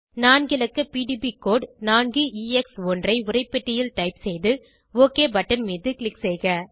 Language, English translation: Tamil, Type the 4 letter PDB code 4EX1 in the text box and click on OK button